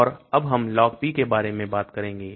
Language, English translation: Hindi, And now let us talk about Log P